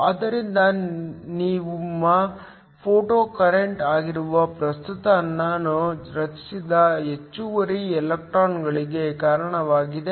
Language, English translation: Kannada, So, the current I which is your photocurrent is due to the excess electrons that are created